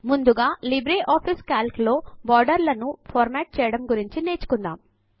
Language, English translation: Telugu, First let us learn about formatting borders in LibreOffice Calc